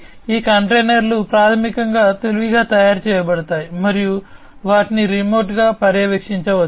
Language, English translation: Telugu, These containers are basically made smarter and they can be monitored remotely